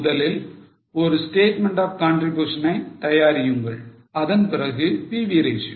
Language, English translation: Tamil, Firstly make a statement of contribution and for PV ratio